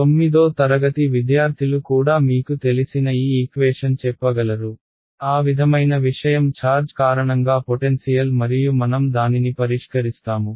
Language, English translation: Telugu, The equation for which you know a class 9th student can tell you , potential due to a charge that that kind of a thing and then we will solve it